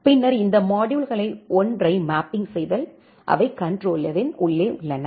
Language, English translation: Tamil, And then map it to one of these modules, which are there inside the controller